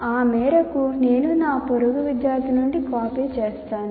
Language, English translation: Telugu, So to that extent I will just copy from my neighboring student